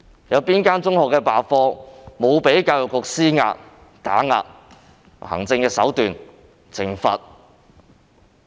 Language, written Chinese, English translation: Cantonese, 哪間中學罷課沒有被教育局施壓、打壓或用行政手段懲罰？, Is there any secondary school that has not been pressurized suppressed or punished through administrative means by the Education Bureau after the class boycott?